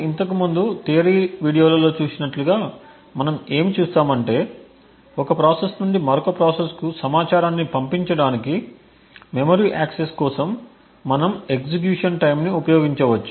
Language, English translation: Telugu, But what we will see in as we have seen in the theory videos before, we could use the execution time for a memory access to pass on information from one process to the other